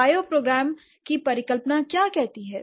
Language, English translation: Hindi, What does the bioprogram hypothesis say